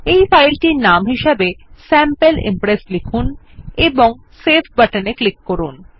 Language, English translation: Bengali, We will name this file as Sample Impress and click on the save button